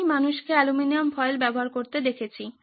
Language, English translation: Bengali, I have seen people use aluminum foils